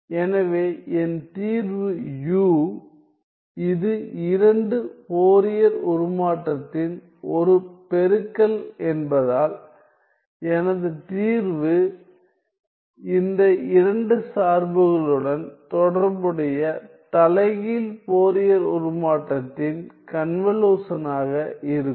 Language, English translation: Tamil, So, then my solution u is 1 by square root 2 pi since this is a product of two Fourier transform my solution will be the convolution of the corresponding Fourier transform inverse of these two functions